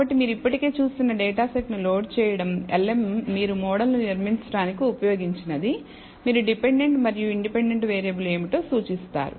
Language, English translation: Telugu, So, loading of the data set you would have already seen, lm is the one that you used to build the model, you indicate what is the dependent and independent variable